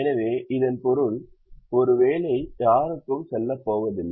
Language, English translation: Tamil, so, which means one job is not going to go to anybody